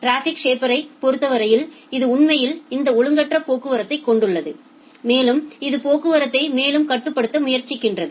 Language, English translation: Tamil, In case of traffic shaper it does something the traffic shaper it actually have this irregulated traffic and it tries to regulate the traffic further